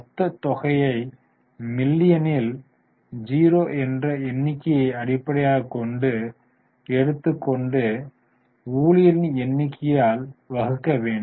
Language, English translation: Tamil, We will have to, what we are doing is we are taking the total amount in million and dividing by number of employees in terms of thousand